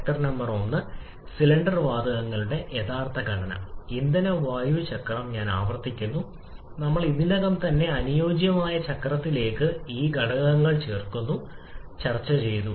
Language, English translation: Malayalam, Factor number 1, the actual composition of cylinder gases: in fuel air cycle just I repeat we are adding these factors to the ideal cycle which we have already discussed